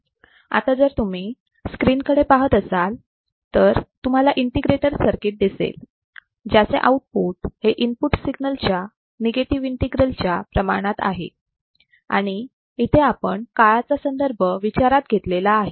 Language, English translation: Marathi, So, if you come to the screen what you see is an integrator circuit whose output is proportional to the negative integral of the input signal with respect to time